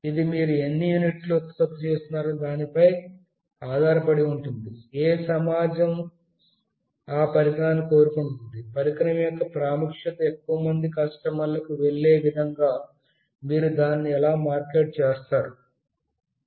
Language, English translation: Telugu, It depends like for how many units you are producing, which community wants that device, how will you market it such that the importance of the device goes to the huge customers